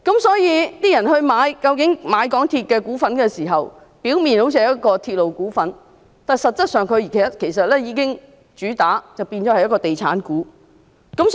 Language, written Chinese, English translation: Cantonese, 所以，當市民購買港鐵公司的股份時，好像是購買鐵路股份，但它們實質上也是地產股。, For that reason when the public buy the shares of MTRCL on the surface they seem to have bought the shares of a railway company but in effect they have also bought the shares of a property development company